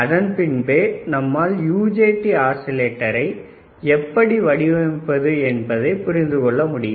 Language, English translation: Tamil, So, this is how the UJT oscillator will work